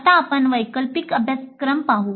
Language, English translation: Marathi, Now let us look at the elective courses